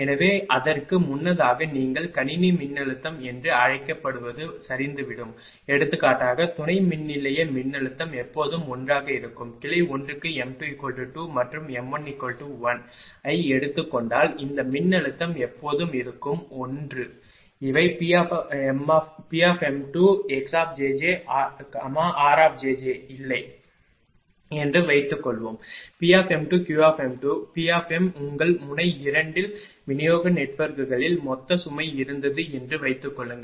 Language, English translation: Tamil, So, just before that that it will that you what you call the system voltage will collapse for example, here substation voltage is always 1, right suppose if you take for the m 2 is equal to 2 and m one is equal to1 for branch 1, these voltage is always 1 suppose these are not there P m 2 x x j j r j j is there suppose P m 2 Q m 2 P m ah your at node 2 suppose there was ah total load in the distribution networks and nothing is there